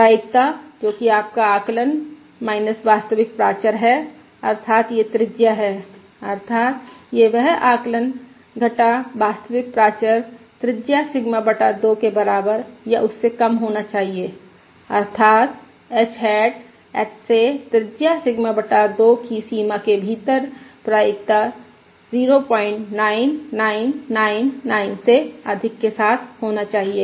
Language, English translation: Hindi, so basically we are asking the question: The probability that your estimate, minus the true parameter, that is, the radius that is the estimate minus the true parameter, should be less than or equal to radius Sigma by 2, that is, h hat should lie within Sigma by 2 radius of h, with probability greater than point 9999